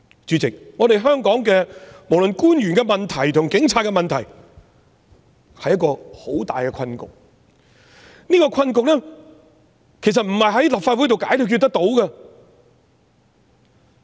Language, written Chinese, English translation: Cantonese, 主席，香港無論官員的問題或警察的問題也是很大的困局，這個困局並不能夠在立法會解決。, Chairman in Hong Kong the problems of the officials or those of the Police are a huge deadlock and this very deadlock cannot be resolved by the Legislative Council